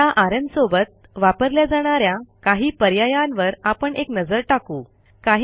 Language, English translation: Marathi, Now let us look into some of the options of the rm command